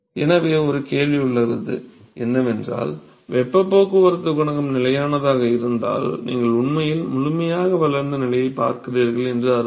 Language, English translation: Tamil, So, if heat transport coefficient is constant, which means that you are really looking at fully developed regime